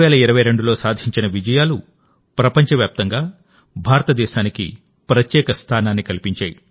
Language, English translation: Telugu, The various successes of 2022, today, have created a special place for India all over the world